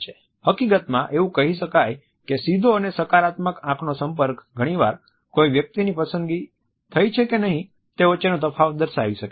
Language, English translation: Gujarati, In fact, it can be said that a direct and positive eye contact can often make the difference between one selection or rejection